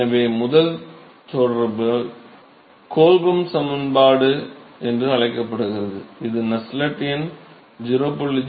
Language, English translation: Tamil, And so, the first correlation is called Colbum equation, where Nusselt number is given by 0